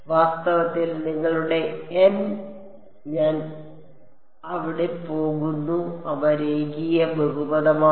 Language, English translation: Malayalam, In fact, your N i es there going to they are linear polynomial